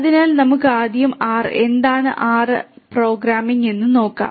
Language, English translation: Malayalam, So, let us first look at R, what is R and the R programming